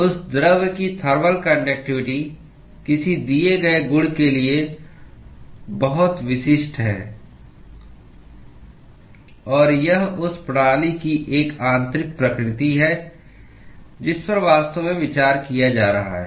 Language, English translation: Hindi, Thermal conductivity of that material is very specific to a given property; and it is an intrinsic property of the system that is actually being considered